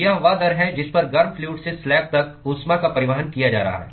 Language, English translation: Hindi, That is the rate at which the heat is being transported from the hot fluid to the slab